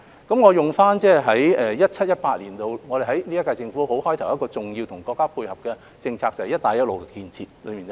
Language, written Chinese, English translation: Cantonese, 我會以 2017-2018 年度現屆政府開始時配合國家的一項重要政策為例，就是"一帶一路"建設。, I would like to use how the current - term Government complemented our countrys important policy of the Belt and Road Initiative at the beginning of its term in 2017 - 2018 as an example